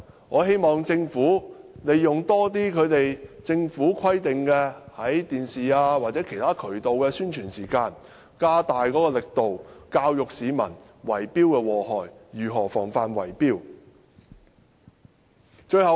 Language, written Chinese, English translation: Cantonese, 我希望政府多利用政府規定的電視或其他渠道的宣傳時間，加大力度教育市民有關圍標的禍害，以及如何防範圍標行為。, I hope that the Government can make more use of the air time designated for its Announcements of Public Interest in television broadcasting or other channels so as to step up public education on the harmful effects of tender rigging and ways of guarding against tender rigging activities